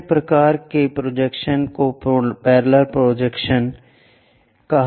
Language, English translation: Hindi, The other kind of projections are called parallel projections